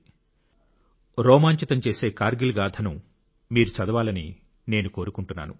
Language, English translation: Telugu, I wish you read the enthralling saga of Kargil…let us all bow to the bravehearts of Kargil